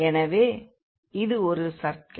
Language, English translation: Tamil, So, this is the circle